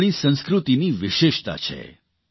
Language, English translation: Gujarati, This is a speciality of our culture